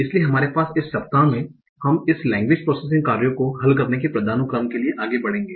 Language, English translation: Hindi, So we have, so in this week we are going, we will be moving up the hierarchy of solving this language processing tasks